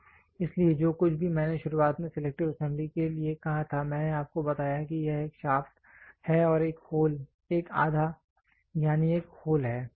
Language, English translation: Hindi, So, whatever I told in the beginning for selective assembly I told you it is it is one shaft and one hole one half that is one hole